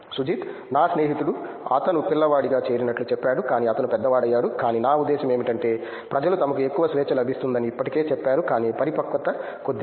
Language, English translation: Telugu, My friend said he joined as kid and but he is grown up, but but I mean people have already said that they are getting more freedom, but little bit of maturity